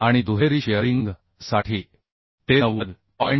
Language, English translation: Marathi, 3 and for double shearing it is 90